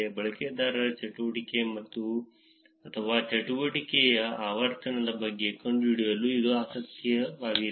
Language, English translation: Kannada, This is interesting to find out about the activity or the frequency of activity of the users